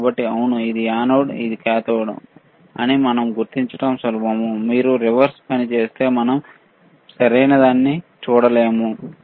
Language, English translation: Telugu, So, is easy we identify that yes this is anode this is cathode, if you do reverse thing we will not be able to see anything correct